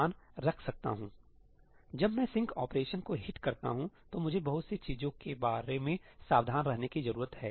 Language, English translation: Hindi, when I hit the sync operation, then I need to be careful about a lot of things